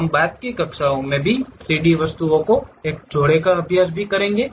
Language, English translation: Hindi, We will practice couple of 3D objects also in the later classes